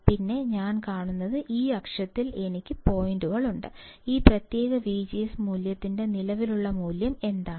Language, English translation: Malayalam, Then, what I see is that I have points on this axis, just by understanding, what is the current value for particular V G S value